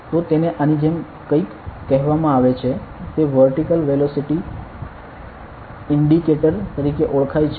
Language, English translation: Gujarati, So, it is something called like this; with it is called a vertical velocity indicator and all